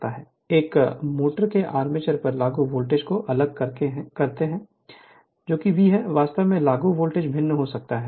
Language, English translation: Hindi, One is by varying the voltage applied to the armature of the motor that is your V; you can vary that applied voltage